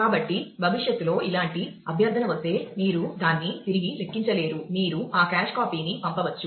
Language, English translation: Telugu, So, that if a similar request come in future, you can you may not re compute it, you can just send that cache copy